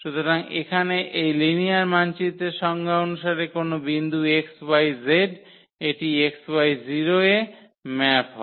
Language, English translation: Bengali, So, here as per the definition of this linear map, any point here x y z it maps to x y and 0